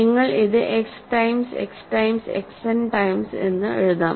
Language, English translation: Malayalam, You can write it as X times X times X n times